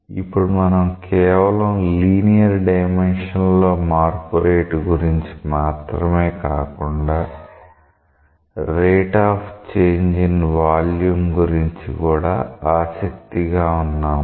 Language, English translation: Telugu, Now we are interested not only just in terms of the rate of change in the linear dimension, but maybe rate of change in the volume